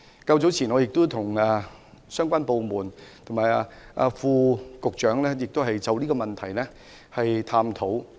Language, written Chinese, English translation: Cantonese, 較早時，我曾與相關部門及副局長探討這個問題。, Earlier I have discussed this matter with the relevant authorities and Under Secretaries